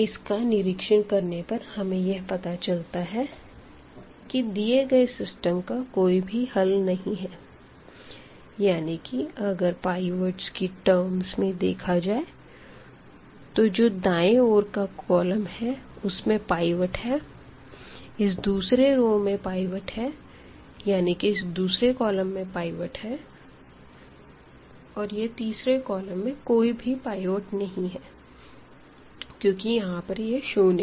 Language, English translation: Hindi, So, by observing this we conclude that this system the given system has no solution and in other words in terms of the pivots we call that the right the rightmost column has a pivot because now this is the pivot here and this is the pivot in the second row or in the second column; the third column has no pivot because this cannot be pivot because this is a 0 element